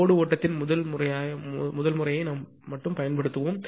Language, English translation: Tamil, We will use only the first method of the load flow